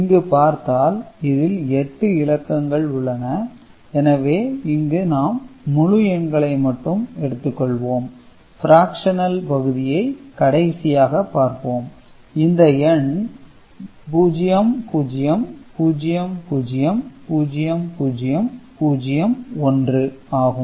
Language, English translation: Tamil, So, in these, if we have got so, 8 bits to represent a number and we are considering say integers only and fraction can be taken up later so, this 0 0 0 0 0 0 0 1 ok